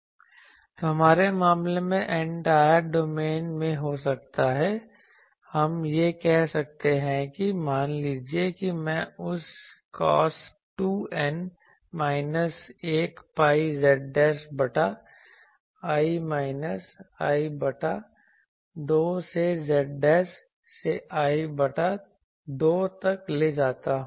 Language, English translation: Hindi, So, in our case maybe in entire domain we can say that, suppose I take that cos 2 n minus 1 pi z dashed by l minus l by 2 to z dashed to l by 2